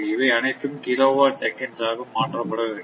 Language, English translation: Tamil, So, this everything is converted to your what you call kilowatt seconds